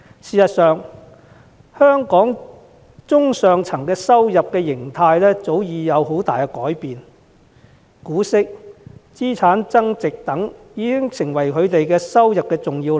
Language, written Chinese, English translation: Cantonese, 事實上，香港中上階層的收入模式早已有很大改變，股息和資產增值等已經成為他們的重要收入來源。, In fact the income model of Hong Kongs middle and upper classes has changed significantly with dividends and capital gains now being part of their major sources of income